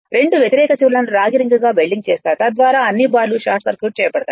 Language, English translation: Telugu, The opposite ends are welded of two copper end ring, so that all the bars are short circuited together right